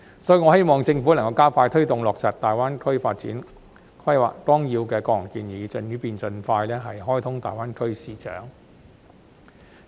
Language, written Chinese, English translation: Cantonese, 因此，我希望政府能夠加快推動落實《粵港澳大灣區發展規劃綱要》的各項建議，以便盡快開通大灣區市場。, Therefore I hope that the Government can expedite the implementation of the various proposals in the Outline Development Plan for the Guangdong - Hong Kong - Macao Greater Bay Area so as to open up the GBA market as soon as possible